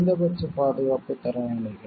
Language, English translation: Tamil, Minimum standards of protection